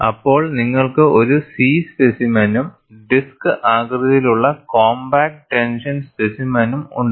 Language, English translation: Malayalam, Then you have a C specimen and a disc shaped compact tension specimen